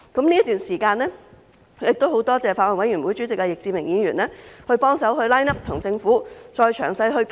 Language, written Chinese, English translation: Cantonese, 這段時間十分感謝法案委員會主席易志明議員幫忙 line up， 跟政府再詳細討論。, I am very grateful to the Chairman of the Bills Committee Mr Frankie YICK for helping to line up discussion with the Government in detail